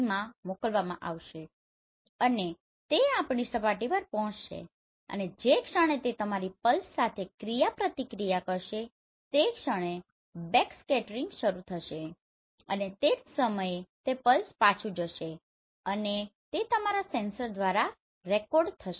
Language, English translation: Gujarati, So the pulses will be sent in a FOV and that will reach to our surface and the moment the object interact with your pulses they will start backscattering and the same time it will go back right like this and it will be recorded by your sensor